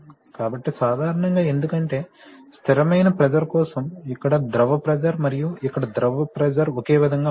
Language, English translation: Telugu, So normally because the fluid pressure here for steady pressure and the fluid pressure here are same